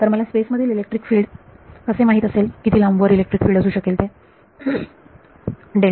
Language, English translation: Marathi, So, where all do I know electric fields in space how far apart are electric fields